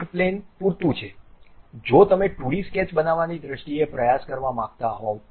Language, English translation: Gujarati, One plane is good enough if you want to just give a try in terms of constructing 2D sketches